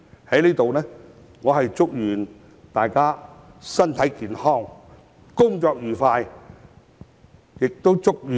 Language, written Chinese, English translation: Cantonese, 在這裏，我祝願大家身體健康，工作愉快！, Taking this opportunity I wish Members good health and every happiness in their work